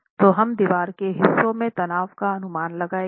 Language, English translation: Hindi, So we approximate the stress in the stretches of the wall